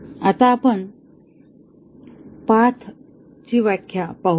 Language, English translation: Marathi, Now, let us look at the definition of a path